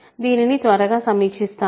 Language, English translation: Telugu, So, let me quickly review this